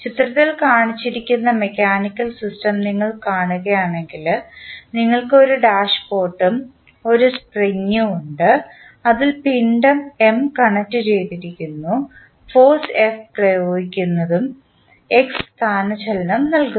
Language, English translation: Malayalam, If you see the mechanical system shown in the figure, we have one dashpot and one spring at which you see the mass M connected and force F is applied which is giving the displacement X